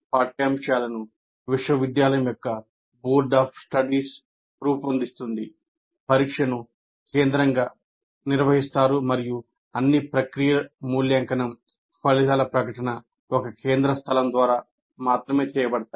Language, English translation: Telugu, Curculum is designed by Board of Studies of the University and then examination is conducted by the university centrally and then evaluation is done, the results are declared, everything, all the processes are done by the one central place